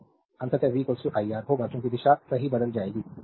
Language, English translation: Hindi, So, ultimately v will be is equal to iR because direction will change right